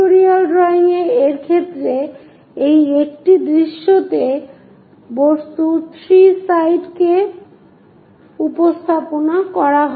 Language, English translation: Bengali, In the case of pictorial drawing it represents 3 sides of an object in one view